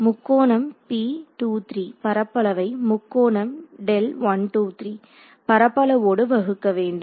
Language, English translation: Tamil, That is just formula of area of triangle